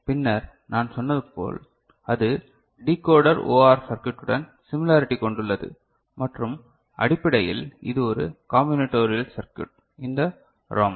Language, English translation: Tamil, And then as I said it has the similarity between – similarity with Decoder OR circuit and essentially it is a combinatorial circuit this ROM